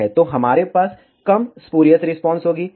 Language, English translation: Hindi, So, we will have less spurious response